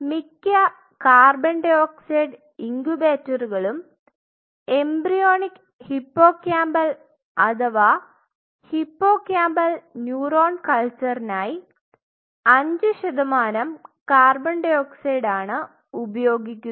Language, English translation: Malayalam, And most of the co 2 incubator prefer 5 percent co 2 for embryonic hippocampal or any of the hippocampal neuron or culture